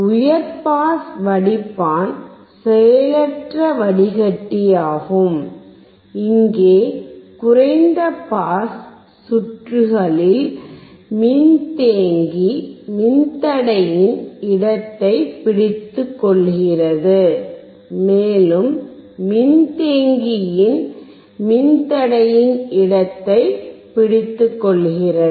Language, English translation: Tamil, High pass filter is also passive filter; here, the capacitor takes place of the resistor, and resistor takes place of a capacitor in the low pass circuit